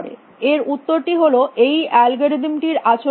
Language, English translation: Bengali, The answer is, what is the behavior of this algorithm